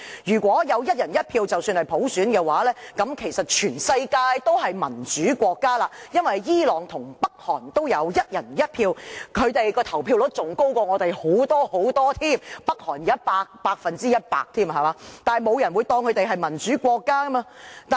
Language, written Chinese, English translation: Cantonese, 如果有"一人一票"便是普選，這樣其實全世界均是民主國家，因為伊朗和北韓也有"一人一票"，他們的投票率更遠高於香港，北韓的投票率是百分之一百，但沒有人會視他們為民主國家。, If one person one vote amounts to universal suffrage all countries over the world are actually democracies . It is because Iran and North Korea also run one person one vote elections and their turnout rates are way higher than that in Hong Kong . For example the voter turnover rate in North Korea is 100 %